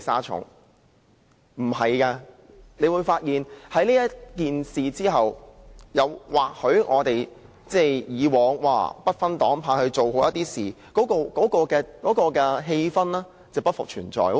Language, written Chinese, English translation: Cantonese, 他們會發現經此一役，我們以往或許會不分黨派地把事情做好的氣氛將不復存在。, In the past Members from different political parties or groupings might strive to get the job done properly . Now after this battle they will find that such an atmosphere has disappeared